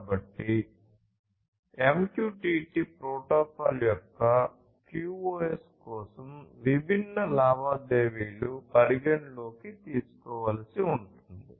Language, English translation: Telugu, So, for QoS of MQTT protocol there are different transactions that will have to be taken into consideration